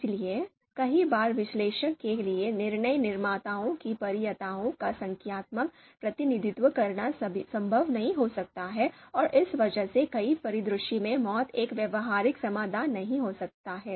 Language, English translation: Hindi, So therefore, you know many times it might not be possible for the analyst to create a numerical representation of the you know of the of the preferences of decision makers and because of that MAUT might not be a practical solution in many scenarios